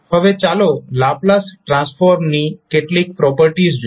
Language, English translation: Gujarati, Now, let's see few of the properties of Laplace transform